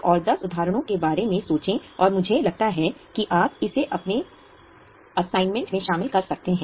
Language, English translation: Hindi, Think of another 10 examples and I think you can include it in your assignment